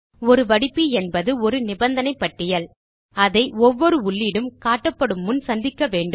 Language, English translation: Tamil, A filter is a list of conditions that each entry has to meet in order to be displayed